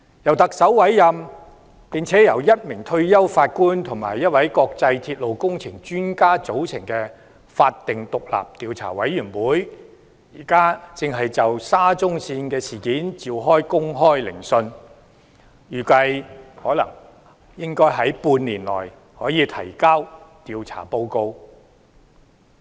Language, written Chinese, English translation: Cantonese, 由特首委任並由1名退休法官及1位國際鐵路工程專家組成的法定獨立調查委員會，現正就沙中線事件召開公開聆訊，預計可於半年內提交調查報告。, The statutory independent Commission of Inquiry appointed by the Chief Executive comprising a retired Judge and an international railway engineering expert is now holding a public hearing on the SCL incident . It is estimated that it will present an investigation report within half a year